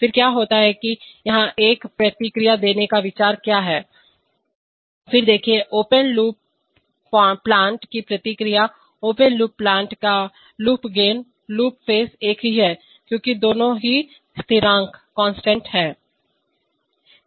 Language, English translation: Hindi, Then what happens, then what is the idea of giving a feedback here, see then the feedback of the open loop plant, loop gain of the open loop plant, loop phase are same, because both are constants